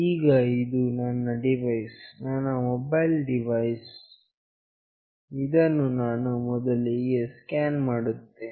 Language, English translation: Kannada, Now, this is my device, this is my mobile device, which I will be scanning first